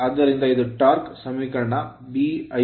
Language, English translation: Kannada, So, this is my torque equation B I l into r Newton metre